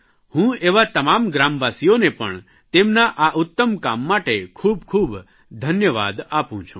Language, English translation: Gujarati, I extend my hearty felicitations to such villagers for their fine work